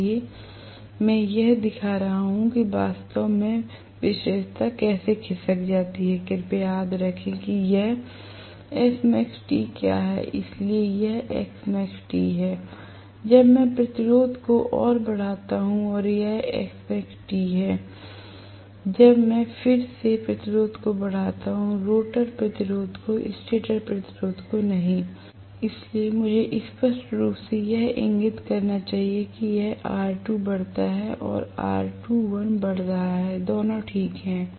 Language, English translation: Hindi, So, I am just showing how exactly the characteristic shift, please, remember this is what is S max T now, so this is S max T1, when I increase the resistance further and this is S max T2, when I again increase the resistance further, rotor resistance not the stator resistance, so I should very clearly indicate this is R2 increasing or R2 dash increasing, either way it is fine